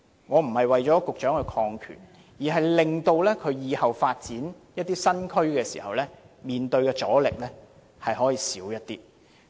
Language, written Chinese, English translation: Cantonese, 我並非為局長擴權，而是令局長往後發展新區時，所面對的阻力減少。, I am not asking to broaden the authority of the Secretary but only hope that he will meet less resistance during future development of new districts